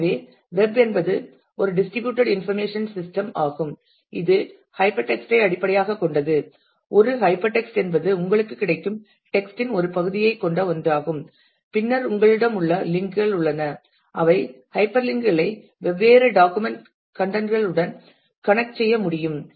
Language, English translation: Tamil, So, web is a distributed information system which is based on hyper text a hyper text is one where you have a part of the text available to you and then you have links we say our hyper links which can connect to the different documents contents